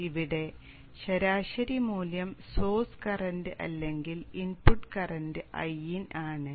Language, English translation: Malayalam, Here the average value is indicating the source current or the input current IN